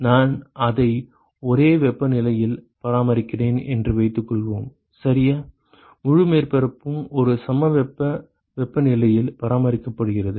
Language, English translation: Tamil, Suppose I maintain it at the same temperature ok, the whole surface is maintained at the same isothermal temperature